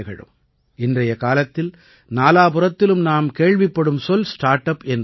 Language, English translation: Tamil, These days, all we hear about from every corner is about Startup, Startup, Startup